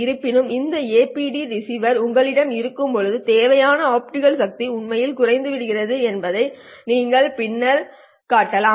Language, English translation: Tamil, However, you can show later that the required optical power actually goes down when you have this APD receiver